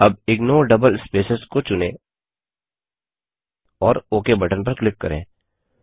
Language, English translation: Hindi, Now put a check on Ignore double spaces and click on OK button